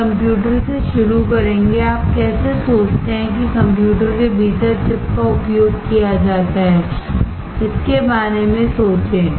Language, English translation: Hindi, We will start from computers, how you think that the chip is used within the computers, think about it